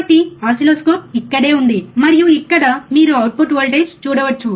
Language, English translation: Telugu, So, oscilloscope is right here, and here you can see the output voltage, right